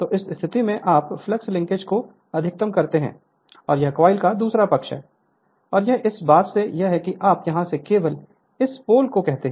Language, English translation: Hindi, So, at this position your what you call the flux linkages will be maximum and this is the other side of the coil the back coil and this is this thing you just out of this here what you call this pole